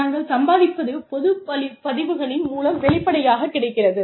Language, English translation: Tamil, What we earn, is publicly available, through public records